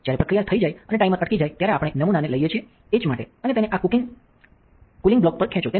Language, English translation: Gujarati, When the process is done and the timer stops, we take the sample to the etch and pull it off onto this cooling block